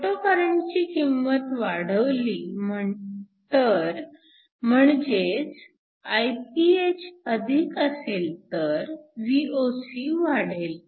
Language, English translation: Marathi, So, If you increase the value of photocurrent, so if Iph is higher, Voc will increase